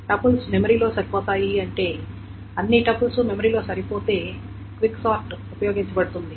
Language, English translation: Telugu, When the tuples fit in memory, when all the tuples fits in memory, then quick sort can be used